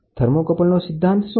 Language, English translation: Gujarati, What is the law of thermocouple